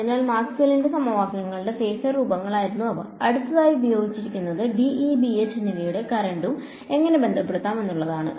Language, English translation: Malayalam, So, those were the phasor forms of Maxwell’s equations; the next thing that is used is how do I relate D and E, B and H and the current